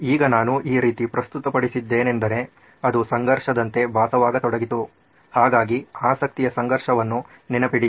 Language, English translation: Kannada, Now that I have presented in this way it started to sound like a conflict, right so remember the conflict of interest